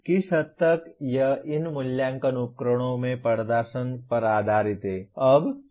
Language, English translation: Hindi, To what extent, it is based on the performance in these assessment instruments